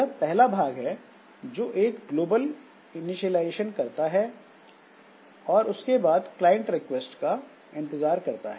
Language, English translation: Hindi, So, this is the first part if does some initialization, global initialization, and then it waits for the requests to come for clients